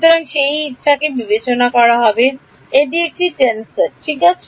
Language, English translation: Bengali, So, that will that is taken into account by making epsilon to be a tensor ok